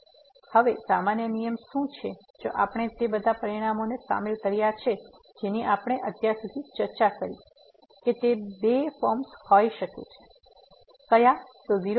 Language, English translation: Gujarati, So, what is the general rule now if we include those all results what we have discussed so far, that they are two they are could be two forms